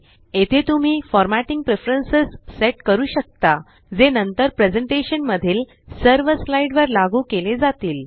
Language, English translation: Marathi, You can set formatting preferences here, which are then applied to all the slides in the presentation